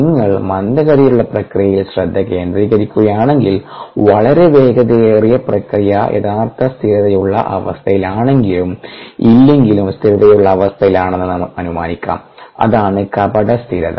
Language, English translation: Malayalam, if you focus on the slower process, then the much faster process can be assume to be a steady state, whether it is actually a steady state or not